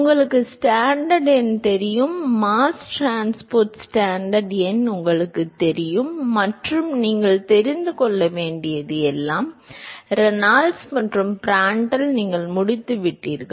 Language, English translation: Tamil, You know the Stanton number, you know the mass transport Stanton number and all you need to know is Reynolds and Prandtl you are done